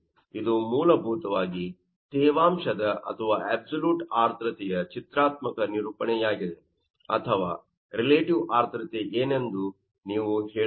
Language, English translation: Kannada, This is basically that graphical representers graphical representation of moisture content or absolute humidity or you can say that what will be the relative humidity